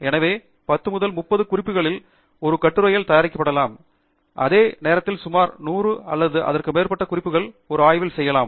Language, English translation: Tamil, So, from 10 to 30 references may be made in an article, while about 100 or more references will be made in a thesis